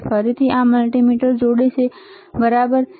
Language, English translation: Gujarati, So, again he is connecting this multimeter, right